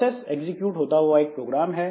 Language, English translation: Hindi, A process is a program under execution